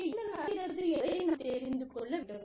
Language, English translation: Tamil, We need to know, what is happening, there